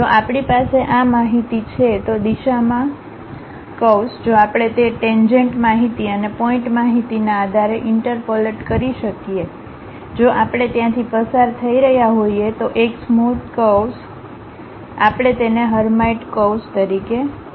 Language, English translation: Gujarati, If we have this information, a curve in the direction if we can interpolate based on those tangent information's and point information, a smooth curve if we are passing through that we call that as Hermite curves